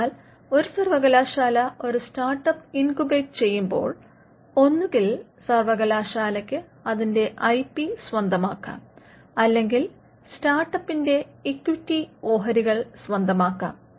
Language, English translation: Malayalam, So, when a university incubates a startup, it owns the IP in the startup that is one way to do it or the university will own equity stakes in the startup